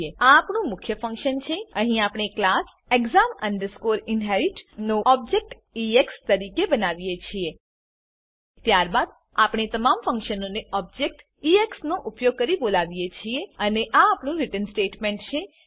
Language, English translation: Gujarati, Here we create an object of class exam inherit as ex Then we call all the functions using the object ex And this is our return statement